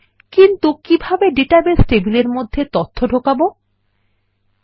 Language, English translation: Bengali, But, how do we enter data into the database tables